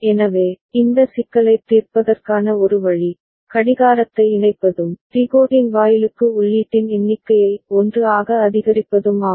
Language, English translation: Tamil, So, one way to solve this problem is to associate the clock and increasing the number of input to the decoding gate to by 1